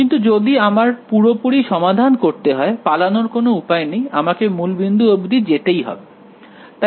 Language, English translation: Bengali, But if I want to get the complete solution, there is no escape I have to go to the origin now ok